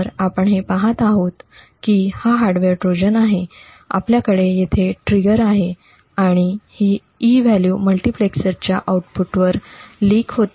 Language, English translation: Marathi, So what we see is that this is our hardware Trojan, we have the trigger over here and this E value is what gets leaked to the output of the multiplexer